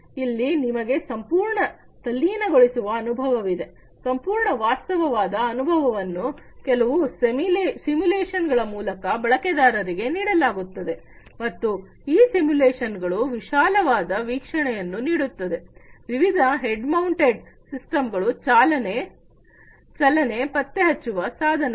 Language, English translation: Kannada, Here it you have complete immersive experience; complete realistic experience is offered through some simulations to the users, and these simulations offer a delivery of a wide field of view using different head mounted displays, motion detecting devices and so, on